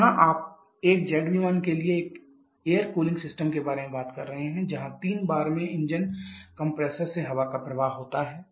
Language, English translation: Hindi, So, here you are talking about an air cooling system for a jet aircraft where air is blade from the engine compressor a 3 bar